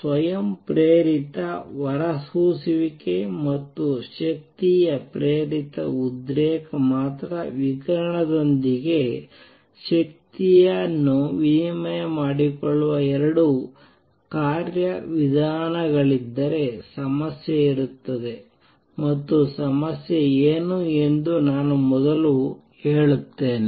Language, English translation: Kannada, If only spontaneous emission and energy induced excitation were the only 2 mechanisms to exchange energy with radiation there will be problem and what is the problem let me state that first